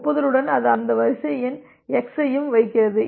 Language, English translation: Tamil, With the acknowledgement it also puts that sequence number x and it also